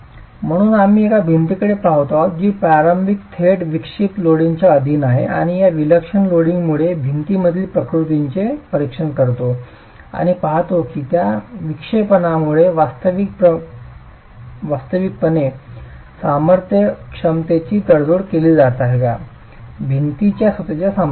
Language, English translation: Marathi, So we are looking at a wall that is initially straight, subjected to eccentric loading and examine the deflections in the wall due to this eccentric loading and see if those deflections are actually going to compromise the force capacity, the strength capacity of the wall itself